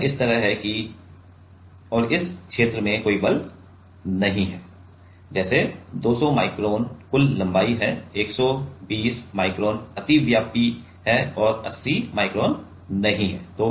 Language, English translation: Hindi, It is like that right and there is no force in this region like 200 micron is the total length, 120 micron is it is overlapping and 80 micron it is not